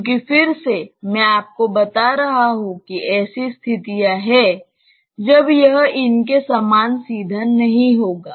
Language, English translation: Hindi, Because again, I am telling you there are situations when it will not be as straightforward as these